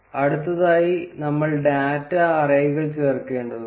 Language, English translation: Malayalam, Next, we need to add data arrays